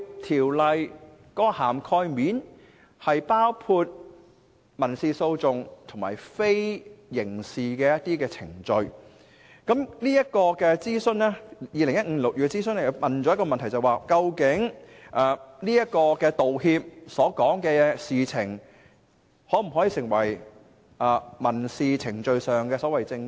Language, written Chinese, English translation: Cantonese, 《條例草案》涵蓋了民事訴訟及非刑事程序，而在2015年進行諮詢期間提出的其中一條問題，正是道歉所涉及的事情可否成為民事程序中的證供。, and Should statements of facts be included? . The Bill covers both civil litigations and non - criminal proceedings and one question asked in the consultation in 2015 was precisely about the admissibility or otherwise of apology - related issues as evidence in civil proceedings